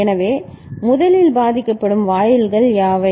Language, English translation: Tamil, So, what are the gates that will get affected first